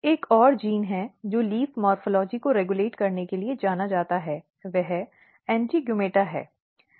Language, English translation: Hindi, Another genes which are known to regulate leaf morphology is AINTEGUMETA